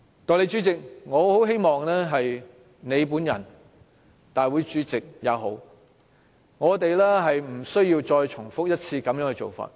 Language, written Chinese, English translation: Cantonese, 代理主席，我很希望你或大會主席不要再重複這種做法。, Deputy President I very much hope that you or the President will do these no more